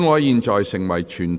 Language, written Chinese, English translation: Cantonese, 現在成為全體委員會。, Council became committee of the whole Council